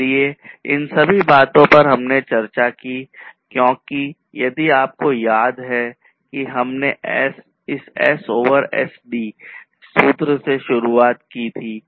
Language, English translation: Hindi, So, all of these things we have discussed because if you recall that we started with that formula S over SD